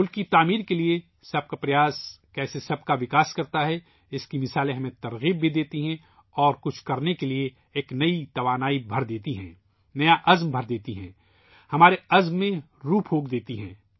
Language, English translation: Urdu, The examples of how efforts by everyone for nation building in turn lead to progress for all of us, also inspire us and infuse us with a new energy to do something, impart new confidence, give a meaning to our resolve